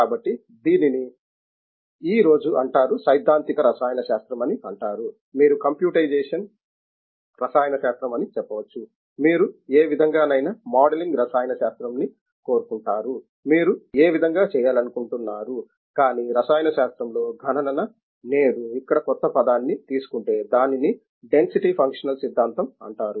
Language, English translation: Telugu, So, this is called today is a theoretical chemistry by you can say computational chemistry whichever way you want modelling chemistry whichever way you want to do that, but computation in chemistry today as taken here a new term which is the called the density functional theory